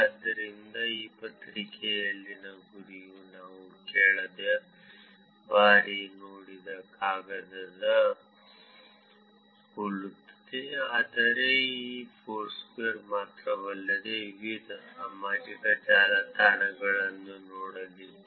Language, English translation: Kannada, So, the goal in this paper is very similar to the paper that we saw last time, but it is going to be looking at different social networks not just only Foursquare